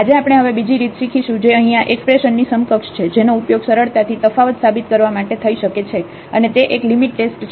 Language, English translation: Gujarati, Today we will learn another way now which is equivalent to this expression here that can be used to prove differentiability easily and that is a limit test